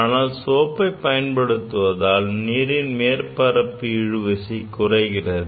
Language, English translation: Tamil, Because the heating reduces the surface tension